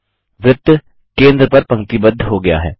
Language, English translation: Hindi, The circle is aligned to the centre position